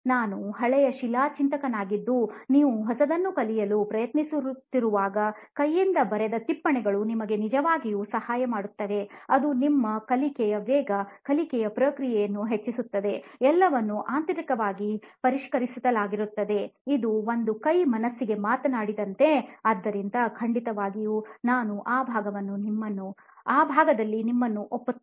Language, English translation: Kannada, I am an old school thinker that way that I think notes hand written notes actually help you and for particularly when you are trying to learn something new it really enhances your learning speed, learning process, everything is refined internally, it is a hand talks to the mind kind of thing, so definitely I agree with you on that part